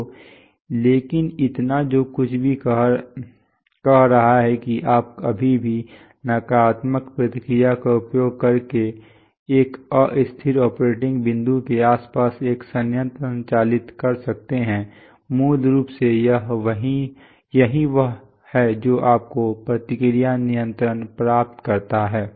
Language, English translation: Hindi, So, but so, whatever saying is that you can still operate a plant around an unstable operating point using negative feedback, basically that is what your feedback control achieves